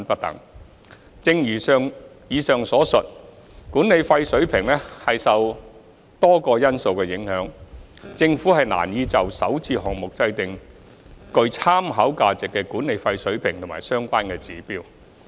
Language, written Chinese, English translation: Cantonese, 三正如以上所述，管理費水平受多個因素影響，政府難以就首置項目制訂具參考價值的管理費水平及相關指標。, 3 As mentioned above the management fee level is affected by a number of factors . It would be difficult for the Government to specify the management fee level and relevant indicators for SH projects which are of reference value